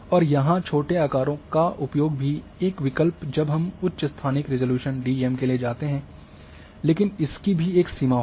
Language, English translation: Hindi, And use of smaller sizes one option is that we go for higher and higher spatial resolution DEM, but there will be a one limit also